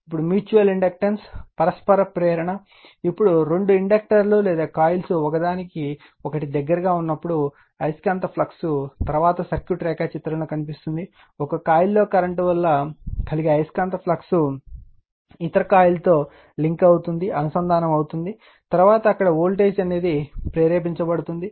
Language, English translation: Telugu, Now, mutual inductance, now, when two inductors or coils right are in a close proximity to each other, the magnetic flux will see later in the circuit diagram, the magnetic flux caused by current in one coil links with other coil right, thereby inducing voltage in the latter right